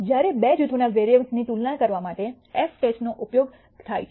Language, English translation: Gujarati, The f test is used when for comparing variances of two groups